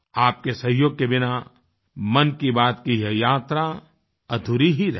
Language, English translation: Hindi, Without your contribution and cooperation, this journey of Mann Ki Baat would have been incomplete